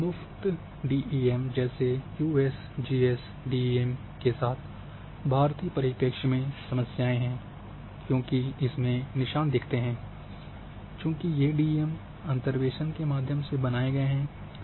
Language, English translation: Hindi, And there are certain problems with free DEM’s like USGS DEM for Indian tiles it is having seams, because as mentioned here that this have been used by using the interpolations